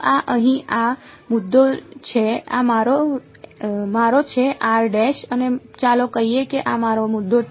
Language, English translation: Gujarati, So, this is this point over here this is my r prime and let us say this is my point r